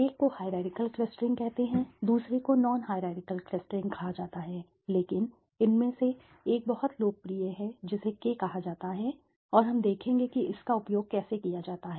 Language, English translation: Hindi, One calls the hierarchical clustering, the other is called the non hierarchical clustering but one of them is very popular among it which called a K means and we will see how that is also used, right